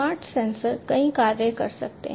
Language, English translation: Hindi, Smart sensors can perform multiple functions